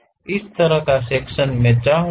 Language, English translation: Hindi, This kind of section I would like to have it